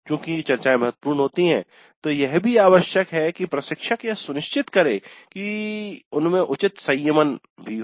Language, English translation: Hindi, While discussions are important, it is also necessary for the instructor to ensure that proper moderation happens